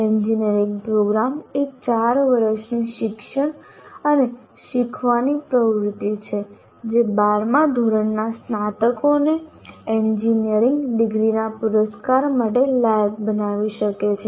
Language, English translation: Gujarati, Engineering program is a four year teaching and learning activity that can qualify 12th standard graduates to the award of engineering degrees